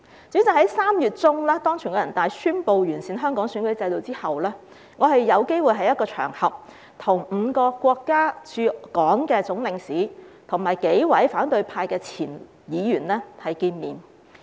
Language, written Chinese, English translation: Cantonese, 主席，在3月中，當全國人大宣布完善香港選舉制度後，我有機會在一個場合中，與5個國家駐港的總領事和數名反對派前議員會面。, President in mid - March after the National Peoples Congress had announced the improvement of the electoral system in Hong Kong I had the opportunity to meet with the consuls general of five countries in Hong Kong and several former opposition Members on one occasion